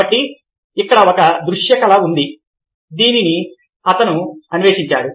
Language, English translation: Telugu, so here is a visual artist who has explored that